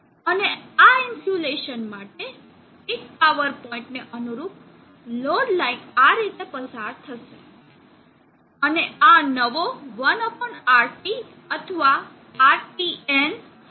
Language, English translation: Gujarati, And the load line corresponding to peak power point for this insulation will pass through this like this, and this will be 1/RT new or RTN